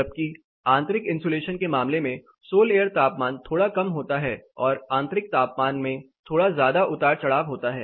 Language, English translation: Hindi, Whereas, in the case of internal insulation the solar temperature is slightly lesser, whereas the internal temperature also fluctuates little bit more